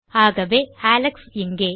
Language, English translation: Tamil, So, Alex here